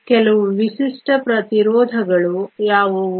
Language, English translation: Kannada, What are some of the Typical Resistivities